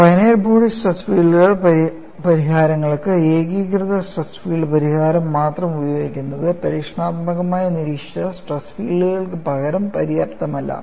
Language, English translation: Malayalam, For finite body problems, use of only singular stress field solution was not found to be sufficient to Model the experimentally observed stress fields